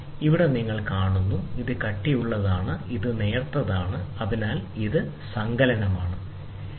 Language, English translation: Malayalam, So, here you see, this is thicker, and here it is thinner, so this is addition